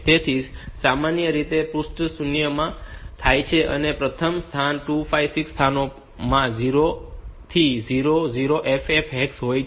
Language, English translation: Gujarati, So, they are normally a located in the page zero that is the in the first 256 locations all 0 to 00FF hex